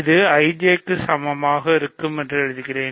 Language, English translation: Tamil, So, I will write that here, IJ is 6Z ok